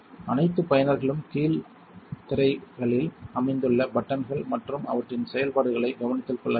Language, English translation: Tamil, All user should be mindful the buttons located the bottom screens and their functions